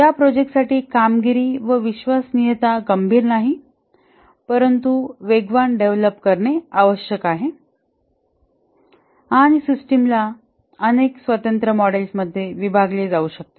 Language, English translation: Marathi, The projects for which the performance and reliability are not critical, but these are required to be developed very fast and the system can be split into several independent modules